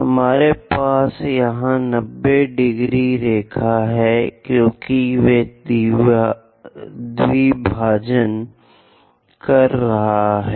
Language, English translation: Hindi, We have this 90 degrees line because they are bisecting